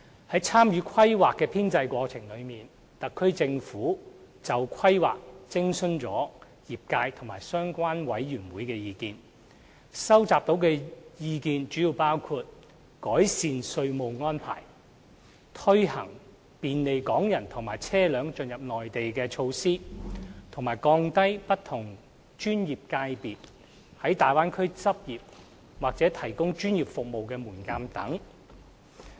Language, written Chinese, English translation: Cantonese, 在參與《規劃》編製的過程中，特區政府就《規劃》徵詢了業界及相關委員會的意見，收集到的意見主要包括改善稅務安排、推行便利港人和車輛進入內地的措施，以及降低不同專業界別在大灣區執業或提供專業服務的門檻等。, In the process of Hong Kongs participation in drawing up the Development Plan the HKSAR Government has consulted industry sectors and relevant committees and the views received included improving tax arrangements introducing measures to facilitate the entry of Hong Kong people and vehicles to the Mainland and lowering the threshold for various professional sectors wishing to practise or provide professional services in the Bay Area